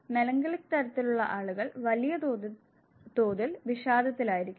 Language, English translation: Malayalam, People who are melancholic type, they would largely be depressed